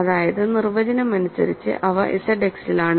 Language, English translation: Malayalam, So, it is reducible in Z X